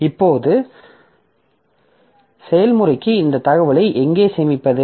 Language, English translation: Tamil, Now, where to store this information for the process